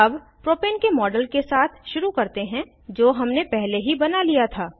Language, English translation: Hindi, Lets begin with the model of Propane, which we had created earlier